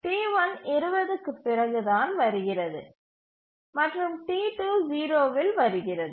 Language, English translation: Tamil, T1 arrives only after 20 and T2 arrives at 0